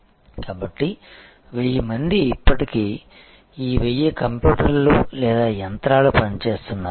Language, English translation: Telugu, So, the 1000 of people are still working these 1000 of computers or machines are still working